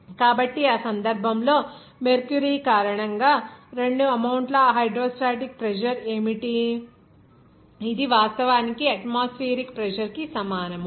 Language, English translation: Telugu, So, in that case, what will be the two amount of hydrostatic pressure because of that mercury, it will be actually equivalent to the atmospheric pressure